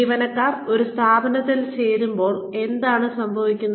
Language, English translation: Malayalam, What happens, when employees join an organization